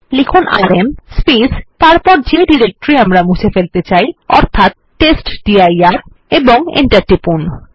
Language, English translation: Bengali, Let us type rm and the directory that we want to delete which is testdir and press enter